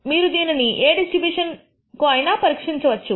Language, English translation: Telugu, You can test this against any distribution